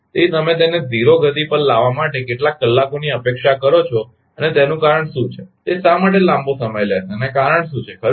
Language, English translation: Gujarati, So, how many hours you are expecting to bring it to the 0 speed and what is the reason, why why it will take long time and what is the reason right